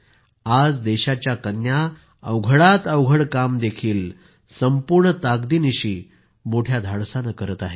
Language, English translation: Marathi, Today the daughters of the country are performing even the toughest duties with full force and zeal